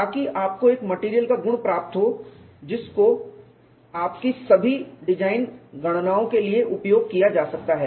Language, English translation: Hindi, So, that you get a material property which could be use for all your design calculations